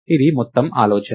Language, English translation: Telugu, This is the whole idea